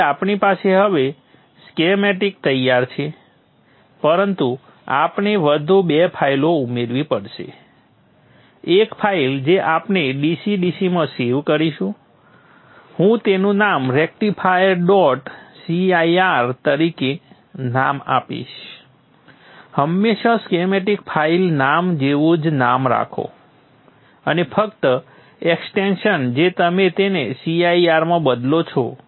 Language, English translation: Gujarati, So we have now the schematic ready but we have to add two more files, one file we will save as into the DCDC I will name it as rectifier dot CIR always keep the same the same name as that was schematic file name and only the extension you change it to CIR save that and here first line is always a comment